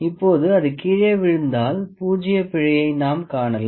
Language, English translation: Tamil, Ok, now so, be since it is fallen down we will see the zero error